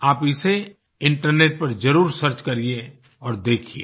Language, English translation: Hindi, Do search more about it on the internet and see for yourself